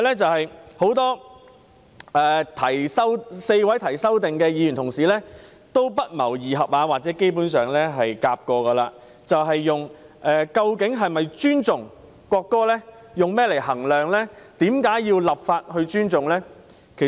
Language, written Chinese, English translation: Cantonese, 此外 ，4 位提出修正案的議員不謀而合或合謀問及，如何衡量一個人是否尊重國歌，以及為何要立法尊重國歌。, In addition the four Members who are amendment proposers have asked coincidentally or concertedly how to assess whether one respects the national anthem and why legislation must be enacted on respecting the national anthem